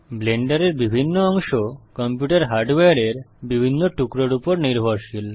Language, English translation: Bengali, Different parts of Blender are dependent on different pieces of computer hardware